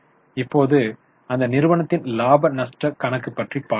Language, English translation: Tamil, Now, let us go to their profit and loss account